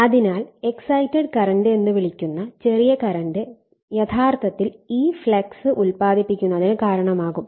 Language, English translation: Malayalam, So, small current called exciting current will be responsible actually for you are producing the flux